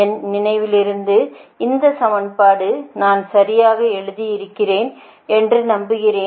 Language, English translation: Tamil, i hope this equation, from my memory, i have written, i thing i have written correctly, right